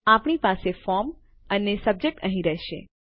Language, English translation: Gujarati, We will have the from and subject in here